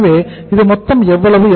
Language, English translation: Tamil, So how much it is total